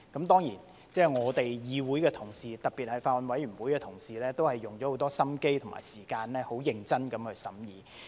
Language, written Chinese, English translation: Cantonese, 當然，議會的同事，特別是法案委員會的同事也花了很多心機和時間很認真地審議。, Certainly colleagues in this Council particularly those in the Bills Committee have spent much effort and time to examine the Bill carefully